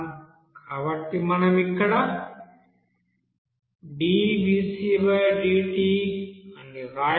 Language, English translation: Telugu, So we can write here d/dt